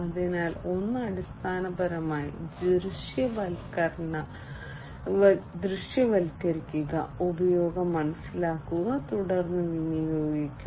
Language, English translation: Malayalam, So, one is basically visualization visualize explain perceive use and then dispose